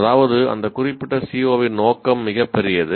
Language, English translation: Tamil, That means, I have the scope of that particular CO is very large